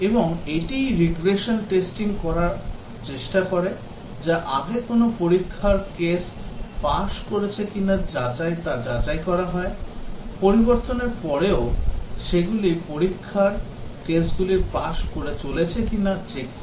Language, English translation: Bengali, And this is what the regression testing tries to do is check whether software which has previously passed some test cases, whether after a change it is continuing to pass those test cases